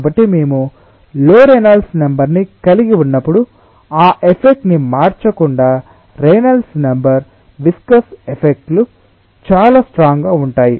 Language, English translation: Telugu, so when we are having low reynolds number keeping that effect unaltered, the lower the reynolds number, viscous effect are stronger and stronger